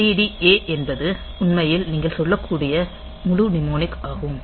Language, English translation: Tamil, So, this ADD A is actually the full mnemonic you can say